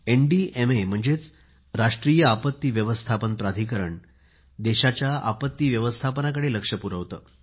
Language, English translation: Marathi, Today, the National Disaster Management Authority, NDMA is the vanguard when it comes to dealing with disasters in the country